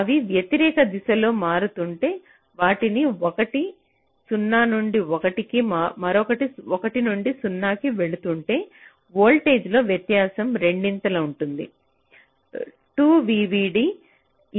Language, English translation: Telugu, but if they are switching in the opposite direction, so one of them is going from zero to one and the other is going from one to zero, then the difference in voltages can be twice two